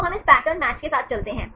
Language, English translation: Hindi, So, we go with this pattern match